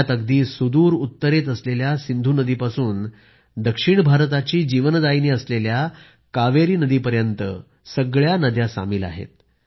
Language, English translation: Marathi, The various rivers in our country are invoked before each ritual, ranging from the Indus located in the far north to the Kaveri, the lifeline of South India